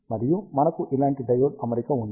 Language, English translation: Telugu, And we have a diode arrangement like this